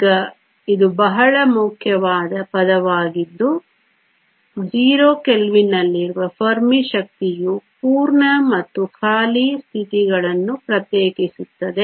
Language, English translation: Kannada, e f is called the Fermi energy now this is a very important term the Fermi energy at 0 kelvin separates the full and empty states